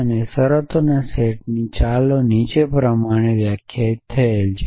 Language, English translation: Gujarati, And the set of terms let us call the T is defined as follows